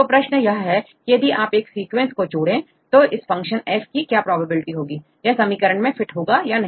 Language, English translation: Hindi, So, now, the question is if you add one sequence what is the probability of this function F right whether this will fit with this equation or not